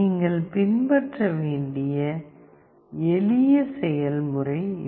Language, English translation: Tamil, This is a simple process that you have to follow